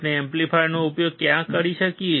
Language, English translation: Gujarati, Where can we use the amplifier